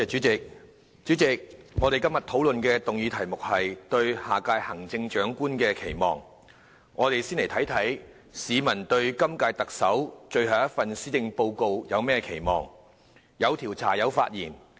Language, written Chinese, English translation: Cantonese, 主席，今天討論的議案題目是"對下任行政長官的期望"，讓我們先看看市民對今屆特首最後一份施政報告有何期望。, President the motion topic under discussion today is Expectations for the Next Chief Executive . Let us first look at peoples expectations for the last policy address of the incumbent Chief Executive